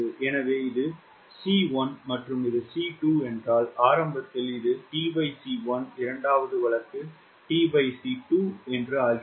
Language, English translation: Tamil, so if this is c one and this is c two initially it was t by c one second case becomes t by c two